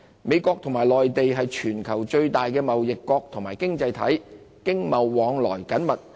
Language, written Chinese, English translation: Cantonese, 美國和內地是全球最大的貿易國及經濟體，經貿往來緊密。, The United States and China are the worlds two biggest trading nations and economies sharing close economic and trading ties